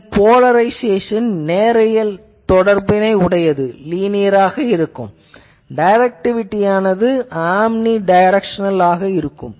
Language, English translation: Tamil, Its polarization is linear, directivity is omnidirectional